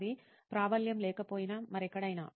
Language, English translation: Telugu, Even if it is not predominant, anywhere else